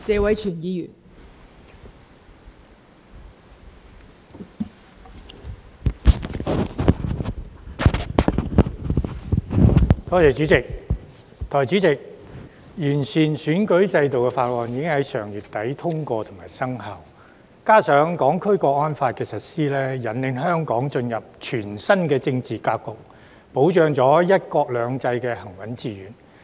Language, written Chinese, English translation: Cantonese, 代理主席，有關完善選舉制度的法案已於上月底通過及生效，加上《香港國安法》的實施，引領香港進入全新政治格局，保障"一國兩制"行穩致遠。, Deputy President the passage and commencement of the bill on improving the electoral system at the end of last month together with the implementation of the National Security Law has led Hong Kong to a brand new political setting which can ensure the steadfast and successful implementation of one country two systems